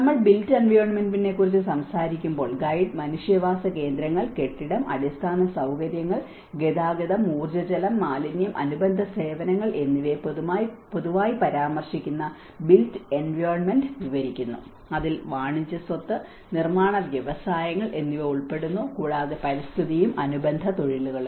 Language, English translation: Malayalam, When we talk about the built environment, the guide describes the built environment which refers in general terms to human settlements, building and infrastructure, transport, energy water, and waste and related services and it also includes the commercial property and construction industries and the built environment and the related professions